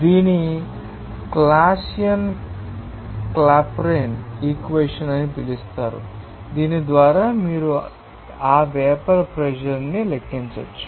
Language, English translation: Telugu, It is called the Clausius Clapeyron equation by which you can calculate that vapour pressure